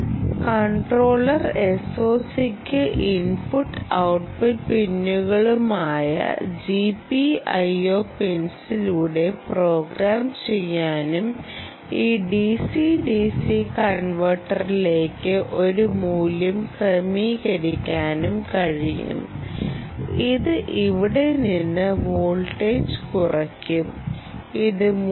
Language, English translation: Malayalam, the microcontroller s o c has the ability to program over the g, p, i, o pins, general purpose input output pins, configure a value into this d c d c converter which will reduce the voltage here from, lets say, it began with three point three